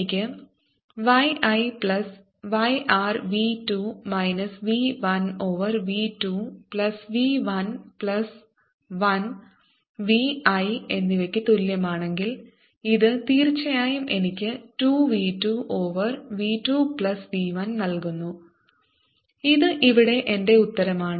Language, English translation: Malayalam, if i take y i plus y r, which is equal to v two minus v one over v two plus v one plus one y i, this indeed gives me two v two over v two plus v one, which is my answer here